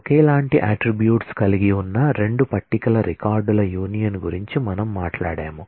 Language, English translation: Telugu, We talked about union of records from 2 tables having identical set of attributes